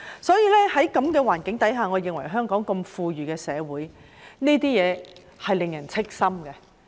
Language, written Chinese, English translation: Cantonese, 在這樣的環境下，我認為在香港這樣富裕的社會，這情況是令人憂心的。, Under the circumstances I think in such an affluent society as Hong Kong this situation is worrying